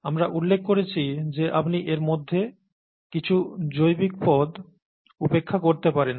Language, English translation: Bengali, We had mentioned that you could ignore some of these biological terms